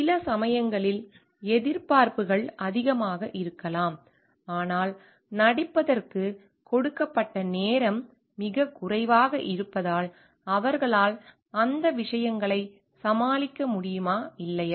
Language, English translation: Tamil, Sometimes, it may happen that expectations is so much, but the time given to perform is very less so whether they will be able to tackle with those things or not